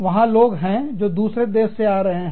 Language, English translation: Hindi, There are people, who are going back, to other countries